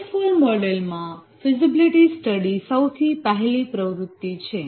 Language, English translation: Gujarati, The first activity in the waterfall model is the feasibility study